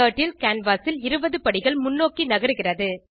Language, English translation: Tamil, Turtle moves 20 steps forward on the canvas